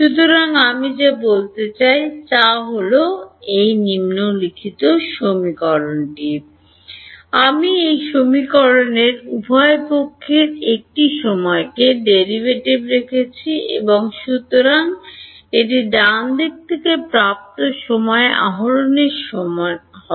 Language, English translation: Bengali, So, what I want is; I have put a time derivative on both sides of this equation and that will therefore, be equal to the time derivative of right